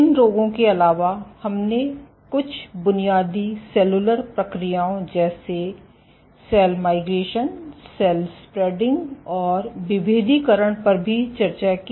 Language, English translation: Hindi, Apart from these diseases we also discussed some basic cellular processes like cell migration, cell spreading and differentiation